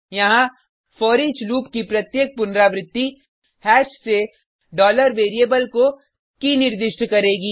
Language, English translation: Hindi, Here, each iteration of foreach loop will assign key from hash to $variable